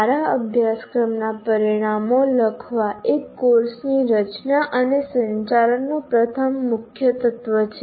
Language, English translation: Gujarati, The writing good course outcomes is the first key element in designing and conducting a course